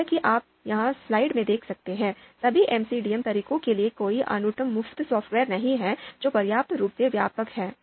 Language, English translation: Hindi, As you can see here in the slide, there is no unique free software for all MCDM MCDA methods that is sufficiently comprehensive